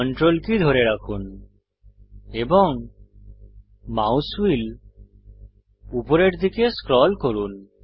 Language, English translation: Bengali, Hold Ctrl and scroll the mouse wheel upwards